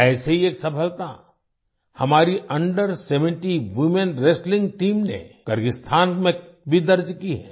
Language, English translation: Hindi, One such similar success has been registered by our Under Seventeen Women Wrestling Team in Kyrgyzstan